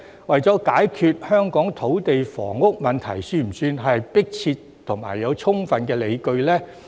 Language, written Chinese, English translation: Cantonese, 為了解決香港的土地房屋問題，算不算迫切和具有充分理據呢？, Does solving the land and housing problems in Hong Kong constitute a compelling and overriding need?